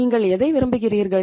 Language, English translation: Tamil, So what would you like to do